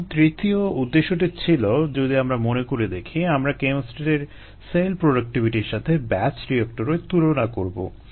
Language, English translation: Bengali, if you recall, we were going to compare the cell productivities of the chemostat with that of a batch bioreactor